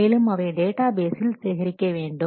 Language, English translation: Tamil, So that and they will be saved in a database